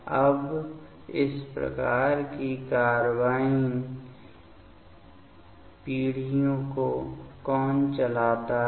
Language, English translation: Hindi, Now, what drives this kind of carbene generations